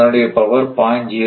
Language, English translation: Tamil, So, it is power is 0